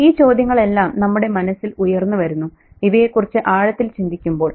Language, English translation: Malayalam, So all these, you know, questions crop up in our minds when we think about these things deeply, right